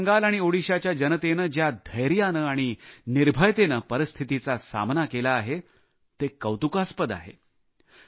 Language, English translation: Marathi, The courage and bravery with which the people of West Bengal and Odisha have faced the ordeal is commendable